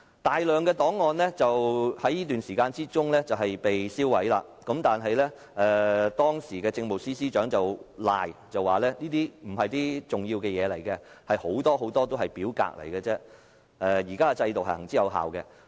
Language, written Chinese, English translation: Cantonese, 大量的檔案在這段時間被銷毀，但當時的政務司司長卻推說這些檔案並非重要文件，當中很大部分都只是表格，又說現時的制度行之有效。, A large volume of records was destroyed during this period of time but the then Chief Secretary for Administration argued that those records were of little value and that a majority of them was forms only adding that the existing system is proven